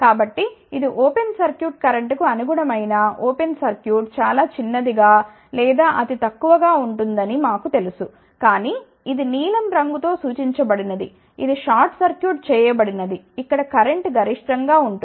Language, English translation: Telugu, So, we know that this is an open circuit corresponding to open circuit current will be very small or negligible, which is represented by blue colour this is short circuited here current will be maximum